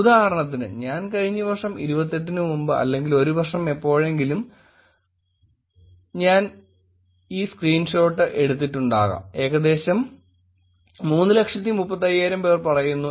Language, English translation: Malayalam, For example, probably I took the screenshot a year or sometime before I took on 28th last year probably and it says about 335,000